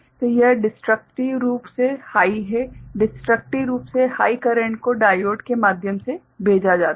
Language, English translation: Hindi, So, this is, destructively high, destructively high currents are sent through diodes